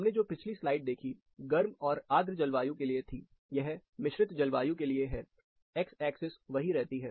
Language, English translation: Hindi, The last slide we saw was for hot and humid, sorry, warm and humid climate, this is for composite climate; the axis remains the same